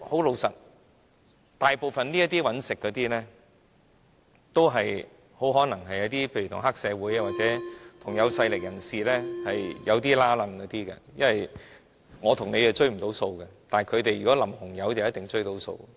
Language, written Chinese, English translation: Cantonese, 老實說，大部分這些經營者可能跟黑社會或有勢力人士有關係，因為我和你追不到數，但他們淋紅油的話就一定追到數。, Frankly most of these operators may be related to triads or powerful people . We may not be able to recover any debts but they can surely do so by splashing red paint